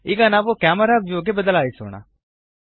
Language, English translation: Kannada, Now, lets switch to the camera view